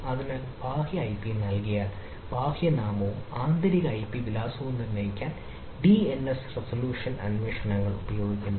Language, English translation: Malayalam, so, given external ip dns resolution queries are used to determine external name and internal ip address: right, so this is by the dns query